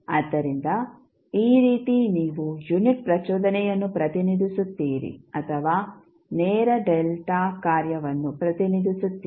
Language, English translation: Kannada, So, this is how you will represent the unit impulse or you will say direct delta function